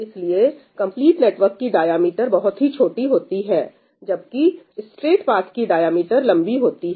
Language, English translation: Hindi, a complete network has a very small diameter, whereas a straight path has a long diameter